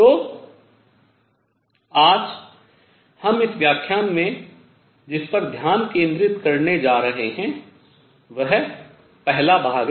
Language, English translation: Hindi, So, what we are going to focus today in this lecture on is the first part